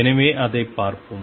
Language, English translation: Tamil, So, let us see that